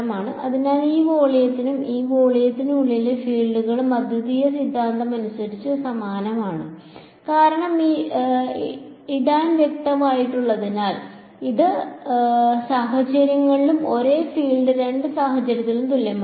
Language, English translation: Malayalam, So, the fields inside this volume and this volume are the same by uniqueness theorem because e tan has been specified and is the same in both cases field will be same in both cases